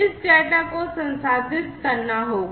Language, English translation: Hindi, This data will have to be processed